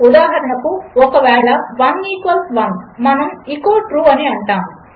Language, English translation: Telugu, For example, if 1 equals 1 we say echo True